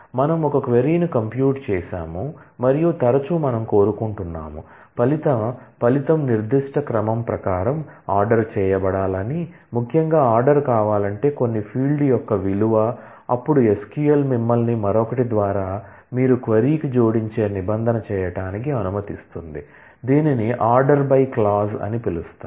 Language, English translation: Telugu, let us say, we have computed a query and then often we would want, that the result be ordered in according to certain order particularly the value of certain field if we want the result to be ordered, then SQL allows you to do that by another clause that you add to the query, which is called order by